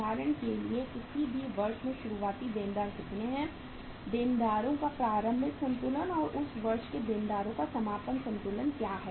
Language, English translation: Hindi, For example in any year what were the opening debtors, opening balance of the debtors and what was the closing balance of the debtors of that year